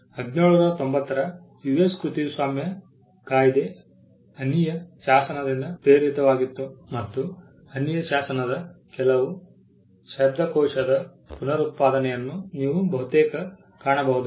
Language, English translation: Kannada, The US Copyright Act of 1790 was inspired by the statute of Anne and you can almost find some Verbatim reproduction of the statute of Anne